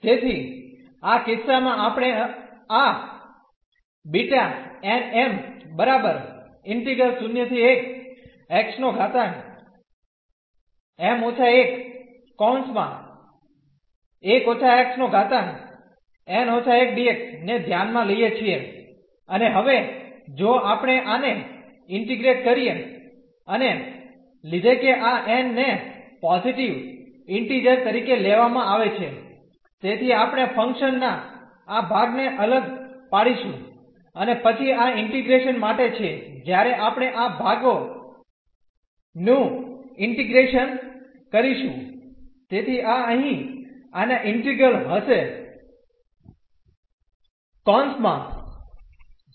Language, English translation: Gujarati, So, in this case we consider this beta m, n the given integral and now, if we integrate this by parts and taking that this n is taken as a positive integer so, we will differentiate this part of the function and then this will be for the integration when we do this integration by parts